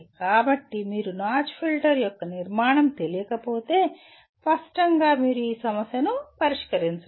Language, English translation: Telugu, So if you do not know the structure of the notch filter, obviously you cannot solve this problem